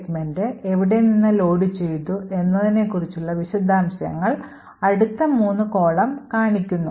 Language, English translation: Malayalam, Now these three columns specify details about from where the segment was actually loaded from